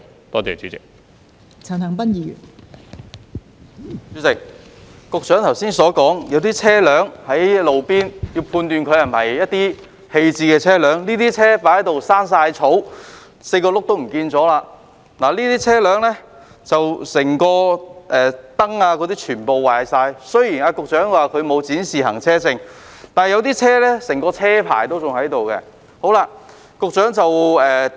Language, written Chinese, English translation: Cantonese, 代理主席，局長剛才表示，需要判斷停泊在路邊的車輛是否棄置車輛，這些車輛已長滿草 ，4 個輪胎已不見，車頭燈已損毀，雖然局長指這些車輛沒有展示行車證，但有些車輛的車牌仍存在。, Deputy President the Secretary said just now that there is a need to determine whether a vehicle parked on the roadside is an abandoned one . This may be a vehicle with grass growing on it four tyres missing and headlights damaged . Such a vehicle may according to the Secretary have no vehicle licence being displayed on it but its number plate may still exist